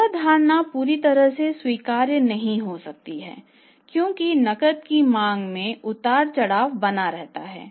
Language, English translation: Hindi, This is some but not fully acceptable because you demand for the cash keep on fluctuating